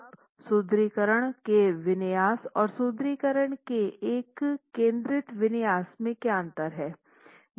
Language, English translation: Hindi, Now what do you mean by a spread configuration of reinforcement and a concentrated configuration of reinforcement